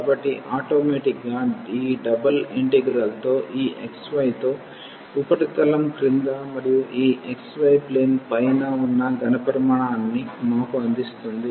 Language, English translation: Telugu, So, this automatically this double integral with the integrand this xy will give us the volume of the solid below by the surface and above this xy plane